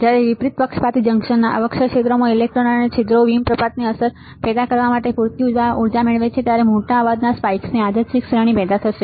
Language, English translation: Gujarati, When electrons and holes in the depletion region of reversed biased junction acquire enough energy to cause avalanche effect a random series of large noise spikes will be generated